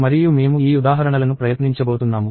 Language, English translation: Telugu, And I am going try these examples